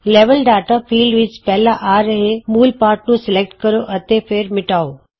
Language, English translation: Punjabi, In the Level Data field, first select and delete the text displayed